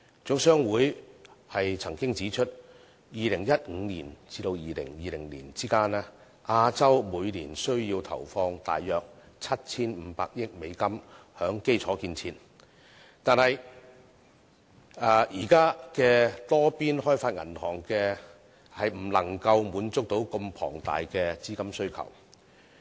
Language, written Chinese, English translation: Cantonese, 總商會曾指出，在2015年至2020年間，亞洲每年需要投放約 7,500 億美元於基礎建設，但現有的多邊開發銀行未能滿足這麼龐大的資金需求。, As HKGCC has highlighted during the period between 2015 and 2020 Asia will need to invest US750 billion in infrastructure every year but the existing multilateral development banks cannot meet such a colossal demand for capital